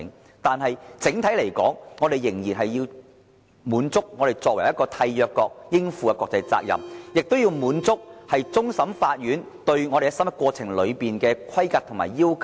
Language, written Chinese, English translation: Cantonese, 然而，整體來說，我們仍然要滿足香港作為締約國應有的國際責任，亦要滿足終審法院對審核過程的規格及要求。, However generally speaking we still have to undertake Hong Kongs responsibility internationally as a State Party as well as to fulfil the standards and requirements set by the Court of Final Appeal on assessment procedures